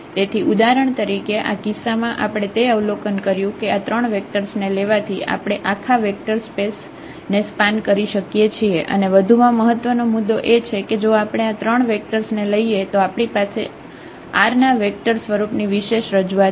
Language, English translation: Gujarati, So, for instance in this case we have observed that taking these 3 vectors we can span the whole vector space and also the moreover the main point is that we have also the unique representation of the vector form R 3 if we take these 3 vectors